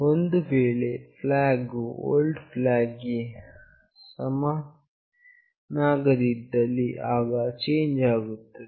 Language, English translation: Kannada, If flag not equals to old flag, there is a change